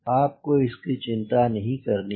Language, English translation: Hindi, not bother about those things